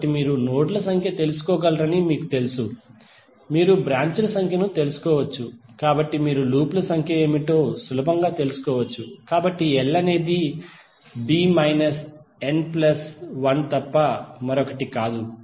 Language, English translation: Telugu, So you know you can find out the numbers of nodes, you can find out the number of branches, so you can easily find out what would be the numbers of loops, so l would be nothing but b minus n plus one